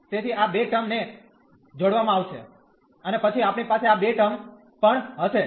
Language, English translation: Gujarati, So, these two terms will be combined, and then we will have these two terms as well